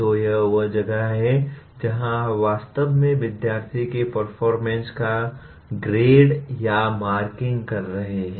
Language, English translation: Hindi, So that is where you are actually grading or marking the student’s performance